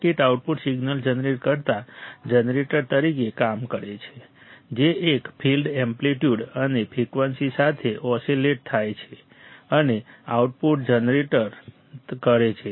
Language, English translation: Gujarati, The circuit works as a generator generating the output signal, which oscillates and generates an output which oscillates with a fixed amplitude and frequency